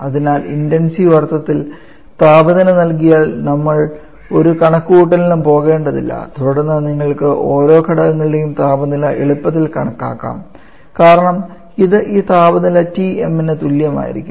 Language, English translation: Malayalam, So for intensive since we do not have to go for any calculation if temperature is given then you can easily calculate the temperature for each of the Constitutes because that will be equal to this temperature Tm all